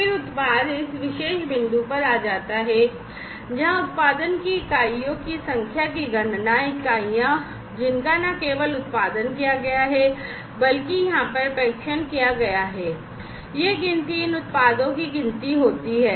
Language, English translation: Hindi, Then the product moves on comes to this particular point, where the counting of the number of units of production, and you know, the units, which have been not only produced, but tested over here this counting takes place counting of these products takes place